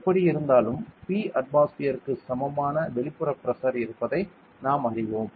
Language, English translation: Tamil, Anyway, we know that there is an external pressure equivalent to P atmosphere